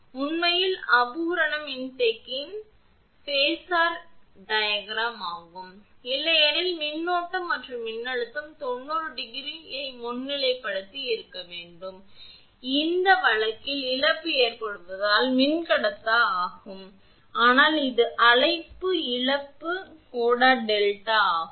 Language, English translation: Tamil, This is actually phasor diagram of imperfect capacitor, otherwise current and voltage should have been 90 degree current leading the voltage 90 degree, but in this case as the loss occur that is dielectric loss that is why this is call loss angle delta